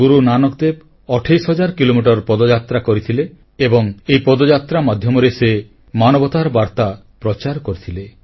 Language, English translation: Odia, Guru Nanak Dev ji undertook a 28 thousand kilometre journey on foot and throughout the journey spread the message of true humanity